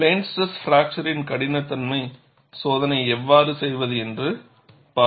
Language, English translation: Tamil, You will see how to do plane stress fracture toughness testing